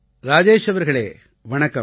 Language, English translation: Tamil, Rajesh ji Namaste